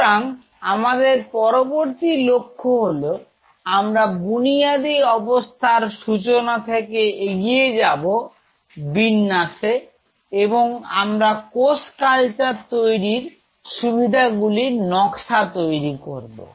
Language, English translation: Bengali, So, next our objective will be move on to with this basic start of I will move on to layout and design of a cell culture facility